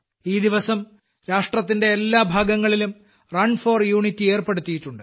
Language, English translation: Malayalam, On this day, Run for Unity is organized in every corner of the country